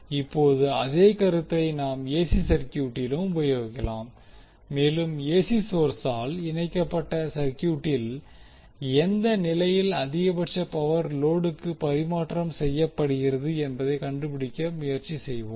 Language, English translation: Tamil, Now the same concept will extend for the AC circuit and we will try to find out the condition under which the maximum power would be transferred to the load if AC source are connected to the circuit